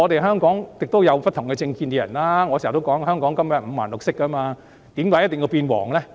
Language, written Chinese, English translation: Cantonese, 香港有不同政見的人，我經常說香港根本是五顔六色，為甚麼一定要變黃呢？, In Hong Kong people hold different political views . I often say that Hong Kong is multi - coloured so why does one have to become yellow?